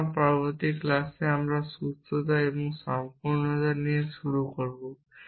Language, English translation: Bengali, So, in the next class, we will begin with soundness and completeness